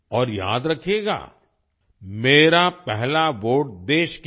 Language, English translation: Hindi, And do remember 'My first vote for the country'